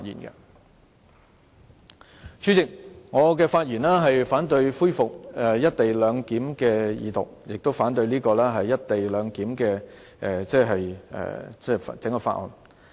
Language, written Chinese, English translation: Cantonese, 代理主席，我發言反對《廣深港高鐵條例草案》的二讀，亦反對有關"一地兩檢"安排的整項法案。, Deputy President I rise to speak against the Second Reading of the Guangzhou - Shenzhen - Hong Kong Express Rail Link Co - location Bill the Bill and I also oppose the entire Bill in relation to the co - location arrangement